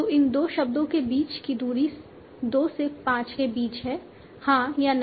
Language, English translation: Hindi, So that is the distance between these two words between 2 to 5, yes or no